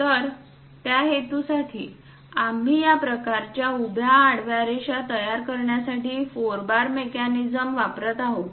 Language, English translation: Marathi, So, for that purpose we are using four bar mechanism to construct this kind of vertical, horizontal lines